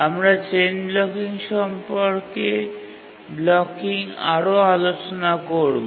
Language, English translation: Bengali, We'll see what exactly is chain blocking